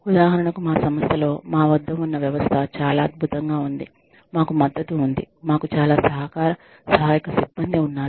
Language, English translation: Telugu, In our institute, for example, the system we have, is so wonderful that, we have a support, we have very co operative support staff